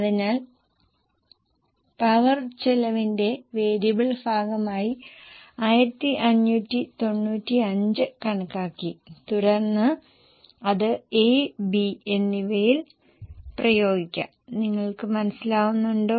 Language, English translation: Malayalam, So, we have calculated 1595 as a variable portion of power cost and then you can apply it to A and B